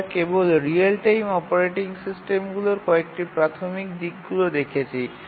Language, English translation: Bengali, We just looked at some basic aspects of real time operating systems